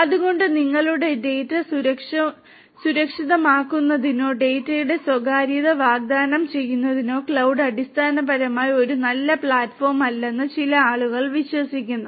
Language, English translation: Malayalam, So, some people believe that cloud basically is not a good platform for securing your data or you know offering privacy of the data